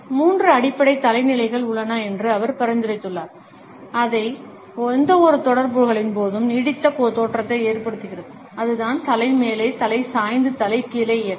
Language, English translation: Tamil, He has suggested that there are three basic head positions, which leave a lasting impression during any interaction and that is the head up, the head tilts and the head down movement